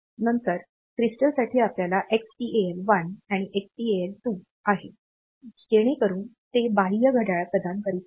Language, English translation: Marathi, Then the crystals we have got Xtal 1 and Xtal 2, so they are providing external clock